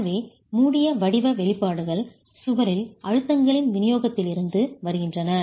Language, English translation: Tamil, So the close form expressions come from the distribution of stresses in the wall